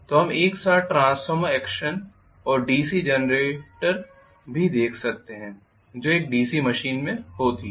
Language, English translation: Hindi, So we can have simultaneously transformer action as well as DC generator action that is what happen in an AC machine